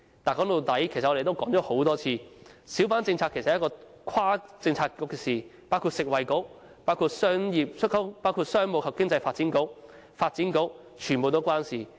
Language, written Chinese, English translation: Cantonese, 但說到底，其實我們也說過很多次，小販政策是一項跨政策局的工作，牽涉食物及衞生局、商務及經濟發展局、發展局等。, But after all as we have said time and again the policy on hawkers straddles various Policy Bureaux including the Food and Health Bureau the Commerce and Economic Development Bureau as well the Development Bureau